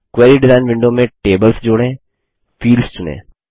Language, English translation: Hindi, Add tables to the Query Design window Select fields